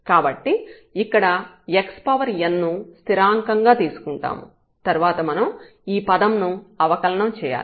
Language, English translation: Telugu, So, x power n will be treated as constant and we have to just differentiate this term